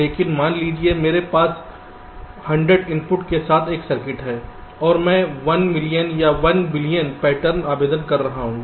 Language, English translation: Hindi, but suppose i have a circuit with hundred inputs and i am applying, lets say, one million or one billion patterns